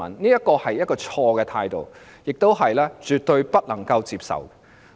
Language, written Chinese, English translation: Cantonese, 這是一種錯誤的態度，是絕對不能接受的。, This is a wrong attitude which is absolutely unacceptable